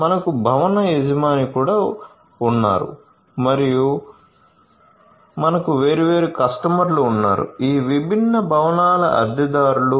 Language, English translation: Telugu, We also have a building owner and we have different customers, tenants of these different buildings